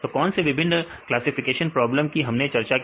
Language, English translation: Hindi, So, what are the different classification problems we discussed